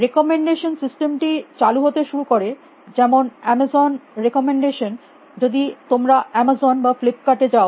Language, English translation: Bengali, Recommendation systems started coming into play like amazons recommendations if you go to Amazon or flip kart